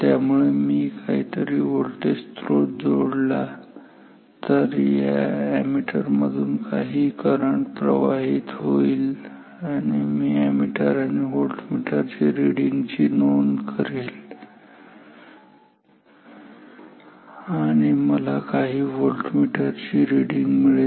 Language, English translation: Marathi, So, I apply some voltage source some current is flowing through this through this ammeter, I record the ammeter reading and the voltmeter reading and I get some voltmeter reading